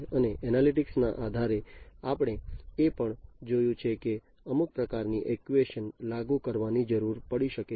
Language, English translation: Gujarati, And based on the analytics we have also seen that some kind of actuation may be required to be implemented, right